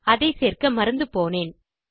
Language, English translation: Tamil, I forgot to include that